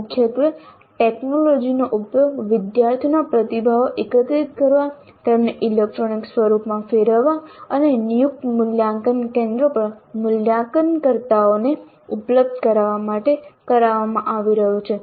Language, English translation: Gujarati, So primarily the technology is being used to gather the student responses turn them into electronic form and make them available to the evaluators at designated evaluation centers